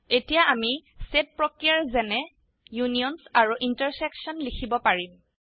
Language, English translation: Assamese, Now we can write set operations such as unions and intersections